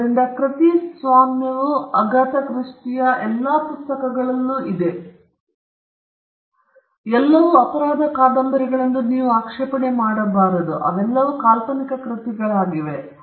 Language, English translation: Kannada, So, copyright subsists in all the books of Agatha Christie and they cannot be an objection that they are all crime novels or they are all works of fiction